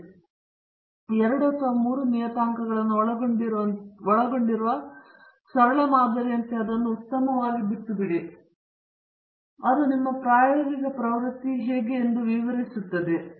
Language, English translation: Kannada, So, better leave it as a simple model involving two or three parameters, and then see how this explains your experimental trend